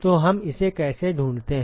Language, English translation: Hindi, So, how do we find that